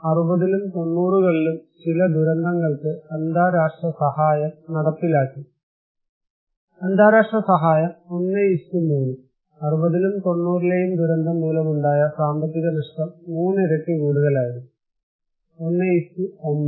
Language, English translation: Malayalam, Number of disaster for which some international aid is executed, in 60s and 90s, international aid 1 : 3; 3 times more, economic losses due to disaster in 60’s and 90’s; 1:9